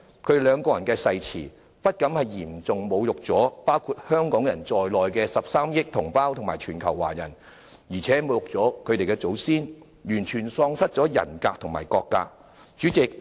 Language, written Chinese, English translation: Cantonese, 他們兩人的誓詞，不僅嚴重侮辱了包括香港人在內的13億同胞和全球華人，亦侮辱了他們的祖先，完全喪失了人格和國格。, Their oaths had not only seriously insulted our 1.3 billion compatriots and the Chinese people around the world including Hong Kong people but had also insulted their ancestors at the total expense of their personal dignity as well as the national dignity